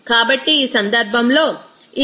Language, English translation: Telugu, So, this will be your 0